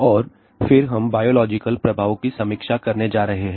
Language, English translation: Hindi, And, then we are going to review biological effects